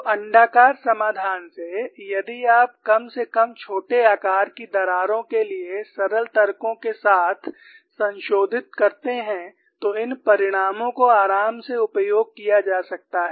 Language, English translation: Hindi, So, from the elliptical solution, if you modify with simpler arguments at least for small sized cracks, these results could be comfortably utilized that is how people have proceeded